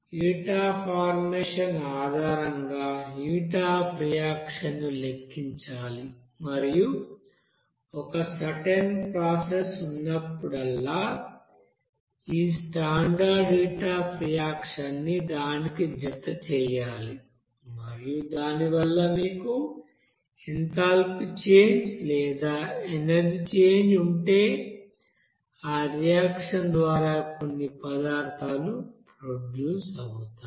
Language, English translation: Telugu, And based on that heat of formation, that heat of reaction to be calculated and also this standard heat of reaction to be added whenever there will be a certain process and if you have the change of enthalpy or energy change because of that you know production of that some substances by the reaction